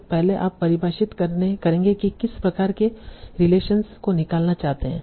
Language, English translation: Hindi, So first you will define what are the kind of relations you want to extract